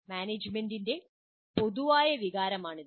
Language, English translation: Malayalam, This is the general feeling of the management